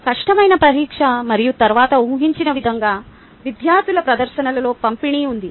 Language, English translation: Telugu, a difficult exam and then, of course, as expected, there is a distribution in the performances of students